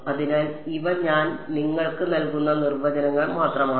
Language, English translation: Malayalam, So, these are just definitions I am giving you